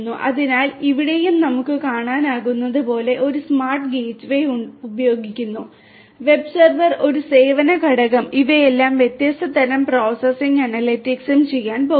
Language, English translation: Malayalam, So, here also as we can see there is this smart gateway that is used, the web server, a service component all of these are going to do different types of processing and analytics